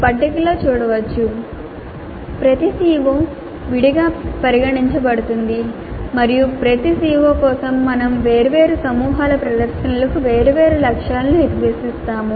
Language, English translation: Telugu, As can be seen in the table, each CO is considered separately and for each CO we set different targets for different groups of performances